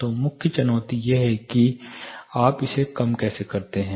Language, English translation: Hindi, So, the main challenge is, how do you arrest this